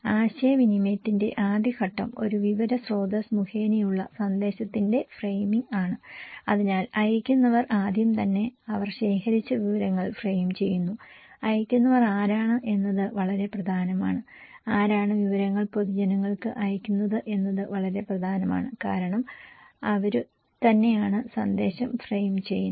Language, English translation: Malayalam, The first stage of communication is the framing of message by an information source so, the senders they frame the information at first right they collect so, who are senders is very important who are sending the informations to the public is very important because they are also framing the message